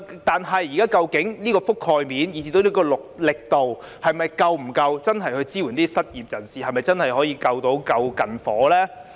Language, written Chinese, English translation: Cantonese, 但是，現時的覆蓋面以至力度是否足夠真正支援失業人士，是否真的可以"救近火"呢？, Yet is their existing coverage and strength sufficient to truly support the unemployed? . Can they really solve the imminent problems?